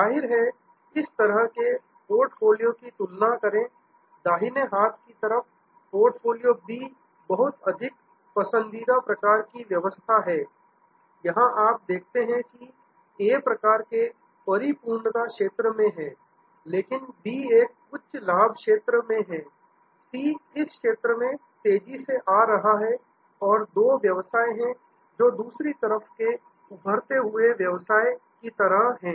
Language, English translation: Hindi, Obviously, compare to this kind of portfolio, the portfolio on the right hand side the portfolio B is a lot more preferred sort of arrangement, here you see that A is a kind of in the saturation zone, but the B is in a high profit zone, C is approaching that rapidly and there are two businesses, which are a kind of on the other side emerging side